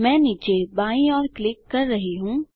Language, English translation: Hindi, I am clicking to the bottom right